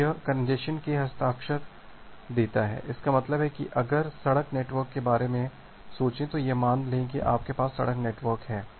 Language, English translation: Hindi, So, this gives an signature of the congestion; that means, if just think of a road network see assume that you have road network something like this